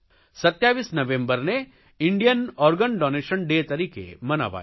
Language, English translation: Gujarati, 27th November was celebrated as 'Indian Organ Donation Day'